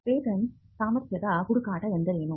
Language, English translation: Kannada, What is a patentability search